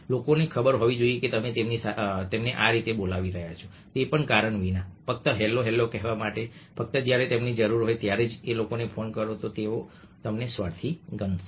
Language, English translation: Gujarati, people should know that you are calling them up just like that, even without reason, just to say hello, rather than just calling of these people only when you need them, then they will treat you as selfish